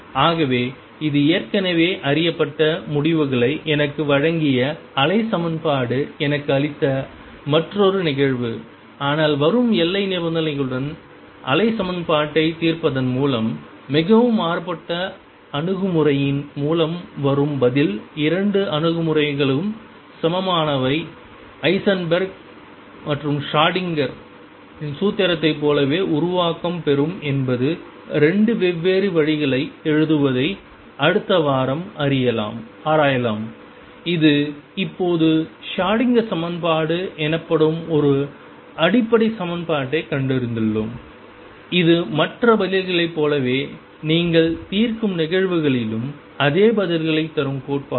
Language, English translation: Tamil, So, this is another instance where the wave equation has give me given me the results already known delta e is h cross omega, but the answer that comes is through a very different approach by solving a wave equation with appropriate boundary conditions are the 2 approaches equivalent is Heisenberg’s formulation the same as Schrodinger’s formulation is just that is 2 different ways of writing this will explore next week for the time being we have now found a fundamental equation known as a Schrodinger equation which gives the same answers in the cases that we have solved as other theories